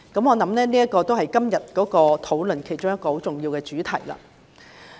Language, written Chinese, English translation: Cantonese, 我相信這是今天的討論比較重要的主題。, I believe this is a relatively key theme in todays discussion